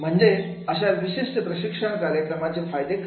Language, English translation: Marathi, So, what will be the outcome of this particular training programs